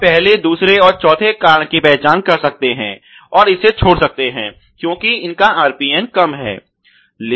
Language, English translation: Hindi, So, we can identify the first cause, the second cause, and the fourth cause and may be just leave this untouched because it has a low RPN